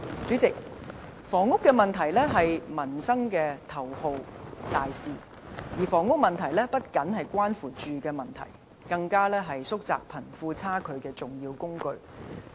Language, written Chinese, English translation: Cantonese, 主席，房屋問題是民生的頭號大事，而房屋問題不僅關乎居住問題，更是縮窄貧富差距的重要工具。, President housing problem is a big issue regarding the peoples livelihood . Moreover the housing problem is not only about housing needs but a major tool for shrinking the wealth gap